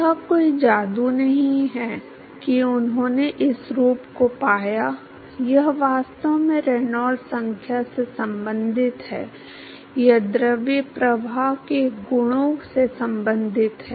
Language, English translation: Hindi, So, it is not a magic that he found this form it is actually related to the Reynolds number, it is related to the properties of the fluid flow